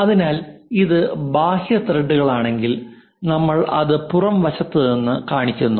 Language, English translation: Malayalam, So, if it is external threads we show it from the external side this is the thread on which we have it